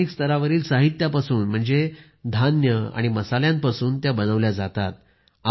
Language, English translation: Marathi, These dishes are made with special local ingredients comprising grains and spices